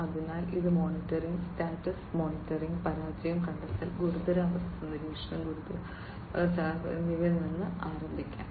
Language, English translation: Malayalam, So, it will start with the monitoring status monitoring, failure detection, control critical condition monitoring, and the dynamic response to critical conditions